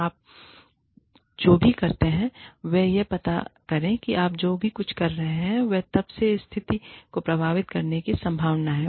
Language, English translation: Hindi, Whatever you do, please find out, how, whatever you are saying, or doing, is likely to impact the situation, from then on